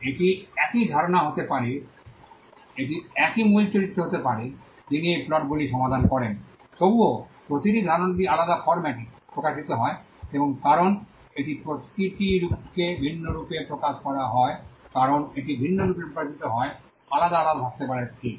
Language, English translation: Bengali, It could be the same idea it could be the same main character who solves these plots, nevertheless each idea is expressed in a different format and because it is expressed in a different form each idea as it is expressed in a different form can have a separate right